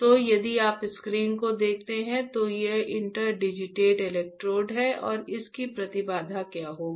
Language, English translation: Hindi, So, if you see the screen, these are the interdigitated electrodes here and what will be the impedance of this